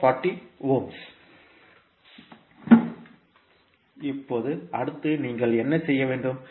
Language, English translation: Tamil, Now, next what you have to do